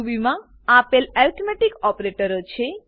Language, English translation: Gujarati, Ruby has following arithmetic operators